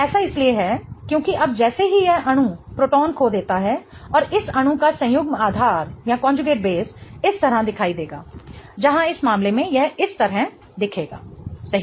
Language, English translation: Hindi, That is because now as this molecule loses a proton and the conjugate base of this molecule will look like this